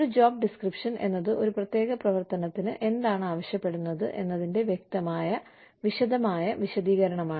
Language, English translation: Malayalam, A job description is a clear, is a detailed explanation, of what a particular activity, requires